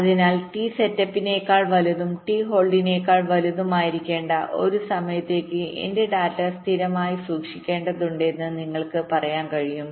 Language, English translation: Malayalam, so you can say that i must have to keep my data stable for a time which must be greater than t setup plus t hold, with these time in constrained